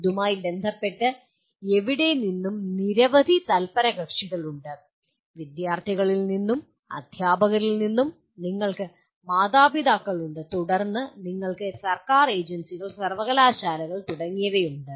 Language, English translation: Malayalam, There are several stake holders concerned with that, anywhere from students, teachers, and then you have parents, then you have government agencies, universities and so on